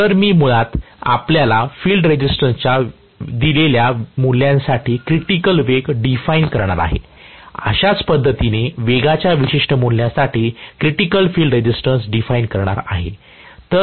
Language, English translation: Marathi, So, I am going to have basically you know a critical speed defined for a given value of field resistance similarly, critical field resistance defined for a particular value of speed